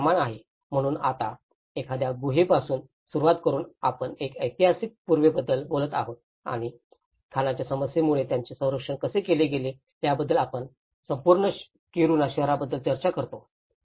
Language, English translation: Marathi, It is a scale of, so now starting from a cave we talk about a historic precinct and we talk about even a whole city of Kiruna, how it has been protected because of the mining issue